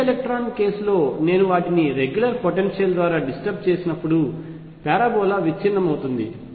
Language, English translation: Telugu, In the free electron case when I disturb them by a regular potential the parabola breaks up